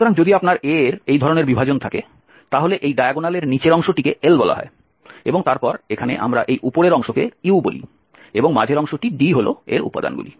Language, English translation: Bengali, So if you have this type of splitting of A the lower portion here below this diagonal we call at L and then here we call this U and the middle one is the elements of the D